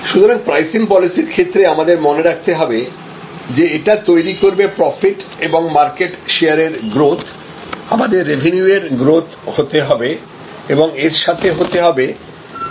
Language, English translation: Bengali, So, in pricing policy therefore to remembering that it is to give us current profit, give us growth in market share, give us revenue growth as well as profitability growth